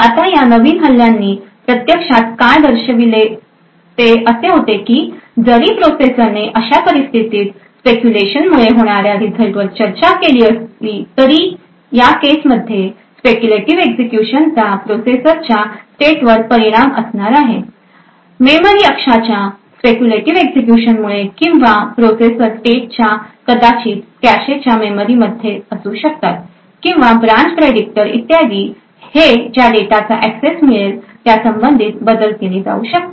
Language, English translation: Marathi, Now what these new attacks actually showed was that even though the processor discussed the result due to speculation in such a case the speculative execution has an effect on the state of the processor, essentially due to this speculative execution of this memory axis or the state of the processor may be in the cache memories or the branch predictors or so on may be modified corresponding to the data which gets accessed